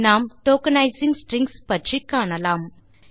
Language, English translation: Tamil, Let us learn about tokenizing strings